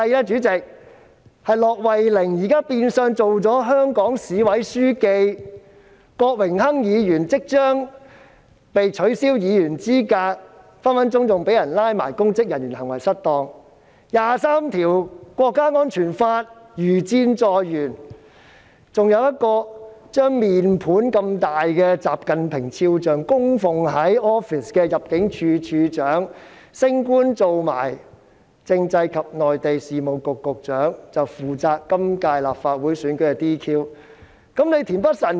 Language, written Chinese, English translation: Cantonese, 主席，現時駱惠寧變相任職香港市委書記；郭榮鏗議員即將被取消議員資格，更隨時會被控以公職人員行為失當罪；第二十三條國家安全法如箭在弦；還有一位把如面盆般大的習近平肖像供奉在辦公室的前入境事務處處長，現已升官成為政制及內地事務局局長，將負責今年立法會選舉的 "DQ" 事宜。, Mr Dennis KWOK will soon be disqualified as a Member and may even be prosecuted for misconduct in public office anytime . The introduction of a national security law under Article 23 of the Basic Law is imminent . Moreover a former Director of Immigration who displays XI Jinpings portrait which is as large as a basin for worship purpose in his office has now been promoted to the position of the Secretary for Constitutional and Mainland Affairs and will be in charge of the DQ matters in the Legislative Council Election this year